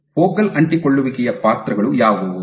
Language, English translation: Kannada, So, what are the roles of focal adhesions